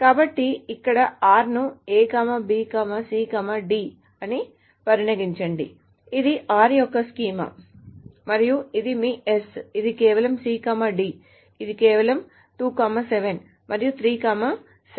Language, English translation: Telugu, This is the schema of R and this is your S which is just C and D which is just 2, 7 and 3, 7